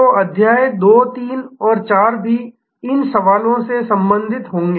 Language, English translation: Hindi, So, chapter 2, 3 and 4 will be also then related to these questions